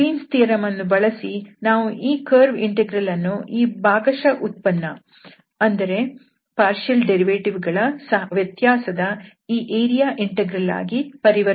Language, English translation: Kannada, And this Green’s theorem says that this will be equal to this area integral which we can easily evaluate these partial derivatives